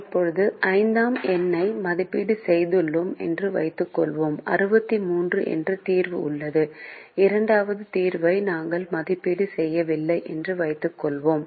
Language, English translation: Tamil, now let's assume that we had evaluated number five and we have a solution with sixty three, and let's assume that we have not evaluated the second solution